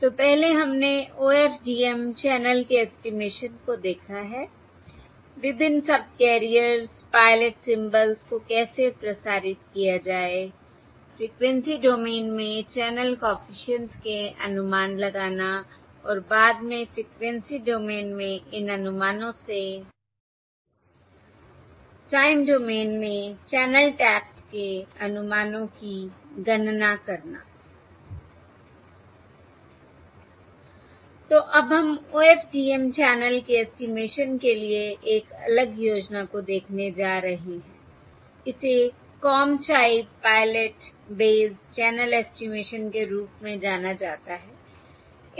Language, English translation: Hindi, So previously we have looked at OFDM channel estimation, that is, how to transmit the pilot symbols on the various um subcarriers, find estimates of the channel coefficients in frequency domain and later, from these estimates in the frequency domain, compute the estimates of the channel taps in the time domain